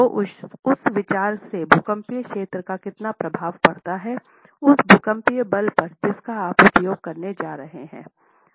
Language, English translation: Hindi, So, from that consideration, one, the seismic zonation itself has an effect on how much seismic force you are going to use